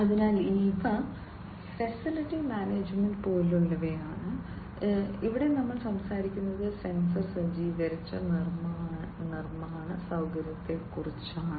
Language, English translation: Malayalam, So, these are the ones like facility management, here we are talking about sensor equipped manufacturing facility